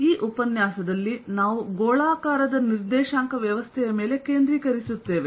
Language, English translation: Kannada, in this lecture we will focus on a spherical coordinate system